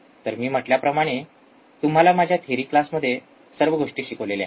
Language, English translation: Marathi, So, like I said and I have taught you in my theory class